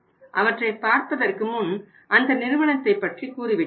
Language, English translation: Tamil, But before that I will tell you about the company